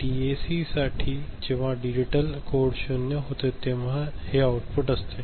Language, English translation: Marathi, For DAC, it is the output when digital code is zero ok